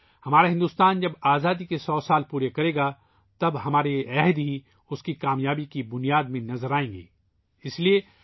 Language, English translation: Urdu, When India completes one hundred years of Independence, then only these resolutions of ours will be seen in the foundation of its successes